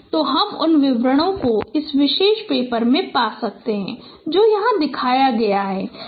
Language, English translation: Hindi, So the details you can find in this particular paper which has been shown here